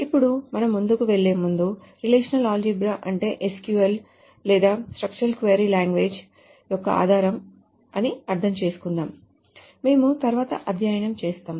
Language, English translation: Telugu, Now, before we go forward, let us understand that relational algebra is what forms the basis of the SQL or the structured query language that we will study later